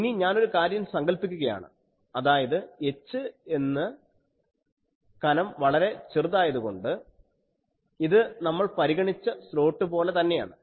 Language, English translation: Malayalam, So, now I will assume that since this h which is the thickness that is very small so, it is same as our slot we consider